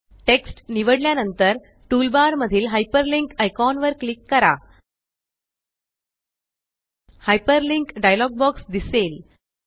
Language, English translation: Marathi, After selecting the text, click on the Hyperlink icon in the toolbar